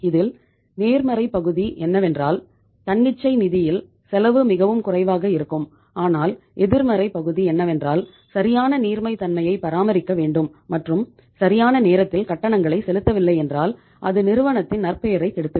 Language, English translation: Tamil, So it means what is the positive, that the cost of the funds is least under the spontaneous finance but the negative part is that you have to maintain the proper liquidity and if you default in making the payment it will spoil the reputation of the firm